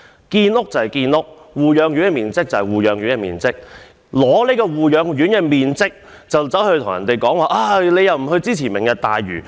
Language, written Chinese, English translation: Cantonese, 建屋是建屋，護養院的面積便是護養院的面積，以護養院的面積來問別人：為甚麼你不支持"明日大嶼願景"？, Adding the area of floor space of nursing homes to the question posed to people Why do you not support the Lantau Tomorrow Vision?